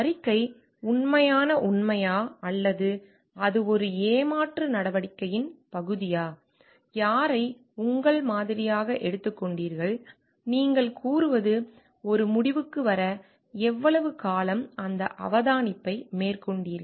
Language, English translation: Tamil, Is it to find out the report a true fact or it is a part of a deceptive action, where is whom have you taken as your sample, for how much long period you have make that observation to come to a conclusion that you are claiming